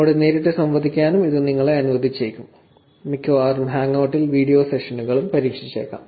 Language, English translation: Malayalam, This will also allow you to interact with me directly, probably on hangout it could even try video sessions